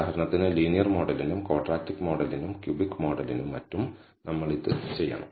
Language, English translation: Malayalam, For example, we have to do this for the linear model the quadratic model the cubic model and so on so forth